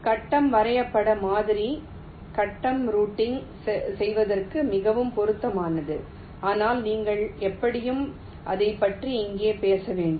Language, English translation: Tamil, the grid graph model is more suitable for grid routing, but you shall anyway talk about it here